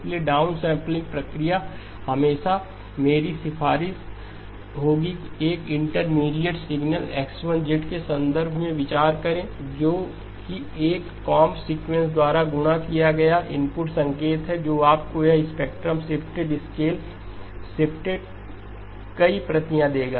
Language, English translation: Hindi, So the down sampling process always my recommendation would be is think in terms of an intermediate signal X1 of z which is the input signal multiplied by a comb sequence which will give you this spectrum, shifted scaled, shifted multiple copies